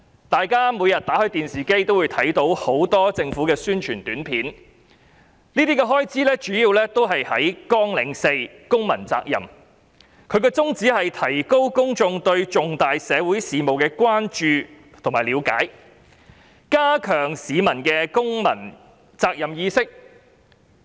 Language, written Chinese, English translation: Cantonese, 大家每天都會從電視看到很多政府宣傳短片，這些都是屬於綱領4公民責任下的開支，宗旨是提高公眾對重大社會事務的關注和了解，並加強他們的公民責任意識。, We watch a number of Announcements on Public Interest APIs on television every day . These expenditures come under Programme 4 Civic Responsibility and the aims are to enhance public awareness of issues of wide concern and promote a greater sense of civic responsibility . On the face of it there is no problem and this is something that should be done